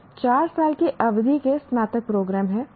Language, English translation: Hindi, There are some four year duration undergraduate programs